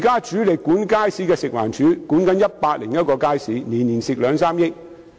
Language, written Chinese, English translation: Cantonese, 主力管理街市的食環署現正管理101個街市，每年也虧蝕兩三億元。, FEHD which is mainly responsible for the management of markets is currently managing 101 markets at a loss of 200 million to 300 million per annum